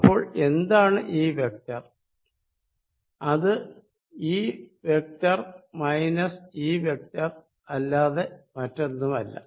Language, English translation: Malayalam, This vector is nothing but this vector minus this vector